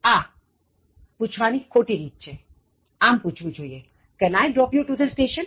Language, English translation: Gujarati, wrong way of asking, it should be: Can I drop you to the station